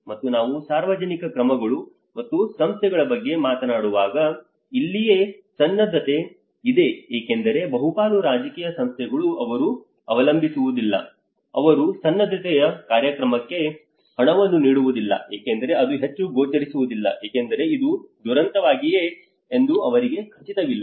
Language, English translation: Kannada, And when we talk about the public actions and institutions, this is where the preparedness because majority of the political institutions they do not rely on, they do not fund for the preparedness program because that is not much visible because they are not sure whether disaster is going to happen or not